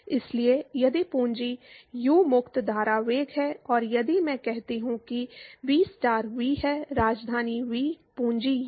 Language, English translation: Hindi, So, if capital U is the free stream velocity and if I say v star is v by capital V; capital U